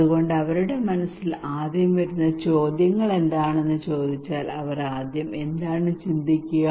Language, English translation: Malayalam, So if you ask them what questions will come first in their mind what will they think first